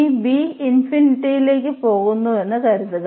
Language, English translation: Malayalam, So, the problem was at b